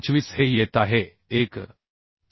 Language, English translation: Marathi, 25 this is coming 1